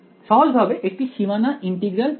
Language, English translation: Bengali, So, its simply called the boundary integral method ok